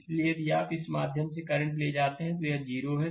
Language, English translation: Hindi, So, if you make it current through this is 0 right